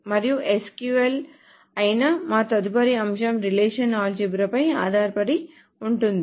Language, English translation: Telugu, And our next topic which is SQL is based on relational algebra